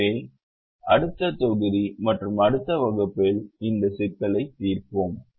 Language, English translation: Tamil, so the next set of module and the next set of classes will address this issue